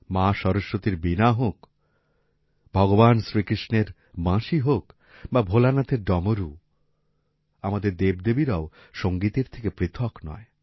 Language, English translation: Bengali, Be it the Veena of Maa Saraswati, the flute of Bhagwan Krishna, or the Damru of Bholenath, our Gods and Goddesses are also attached with music